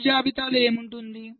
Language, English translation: Telugu, so what will the fault list contain